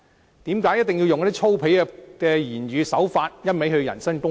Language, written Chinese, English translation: Cantonese, 為甚麼一定要使用粗鄙的言語手法，一味人身攻擊？, Why should they resort to vulgar language and insist on personal attacks?